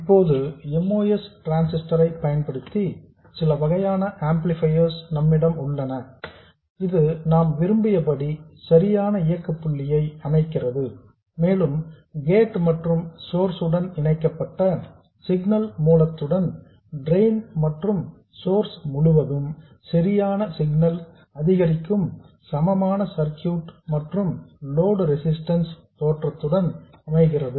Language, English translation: Tamil, We now have some form of an amplifier using a moss transistor which sets up the correct operating point as we want and also sets up the correct small signal incrementally equivalental equivalent circuit that is with the signal source connected to gate and source and the load resistance appearing across drain and source